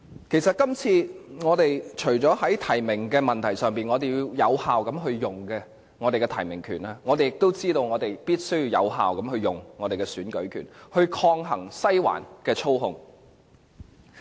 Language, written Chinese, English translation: Cantonese, 其實，我們今次除了要有效運用我們的提名權外，我們也知道必須有效運用我們的選舉權，以抗衡"西環"的操控。, In fact apart from effectively exercising our right of nomination this time around we must also effectively exercise our right to vote so as to counteract the manipulation of Western District